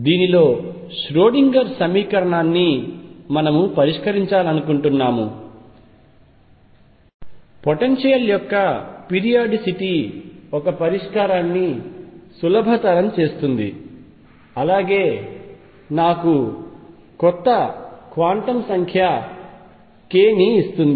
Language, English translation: Telugu, And we want to solve the Schrödinger equation in this the periodicity of the potential makes a solution simple as well as it gives me a new quantum number k